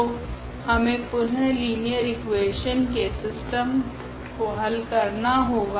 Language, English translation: Hindi, So, we need to solve again the system of linear equations